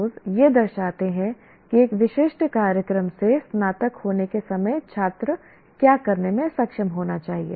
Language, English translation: Hindi, PSOs represent what the student should be able to do at the time of graduation from a specific program